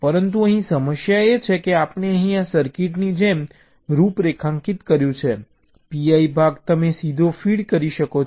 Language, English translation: Gujarati, but the problem here is that the way we have configured, like here, this cir, this circuit, the p i part, you can feed directly